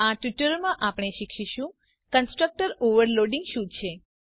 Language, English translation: Gujarati, So in this tutorial, we have learnt About the constructor overloading